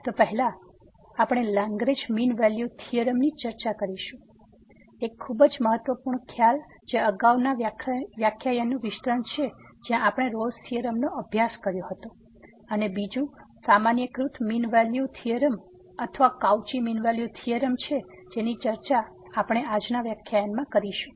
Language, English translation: Gujarati, So, we will discuss the Lagrange mean value theorem; a very important concept which is the extension of the previous lecture where we have a studied Rolle’s theorem and there is another generalized a mean value theorem or the Cauchy mean value theorem which will be also discussed in today’s lecture